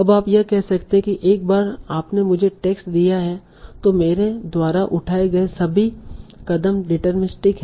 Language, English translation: Hindi, So now, so you can say that once you give me the text, all the steps that I've taken are deterministic